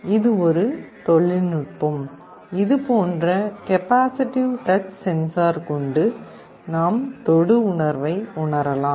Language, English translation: Tamil, This is one technology the capacitive touch sensing using which we can implement such kind of a sensing device